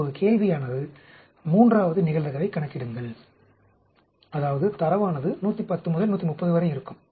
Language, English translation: Tamil, Now, the question is, third, compute the probability, that the data will lie between 110 and 130